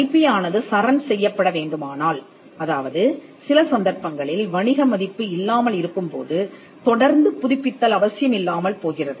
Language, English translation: Tamil, If the IP needs to be surrendered there could be instances where there is no commercial worth and there is no need to keep it keep renewing the IP